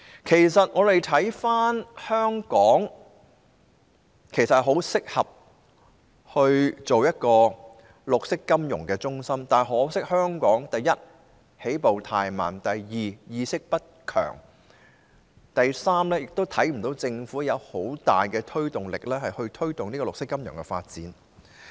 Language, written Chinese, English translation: Cantonese, 其實，我們看回來，香港十分適合成為一個綠色金融中心，但可惜香港，第一，起步太慢，第二，意識不強，第三，看不到政府有很大的推動力，推動綠色金融的發展。, Actually looking back Hong Kong is very suitable to become a green financial centre but unfortunately for one Hong Kong started too slow; secondly our awareness is not strong; and thirdly the Government does not seem to be giving great impetus to promote the development of green finance . Let us take a look at some past figures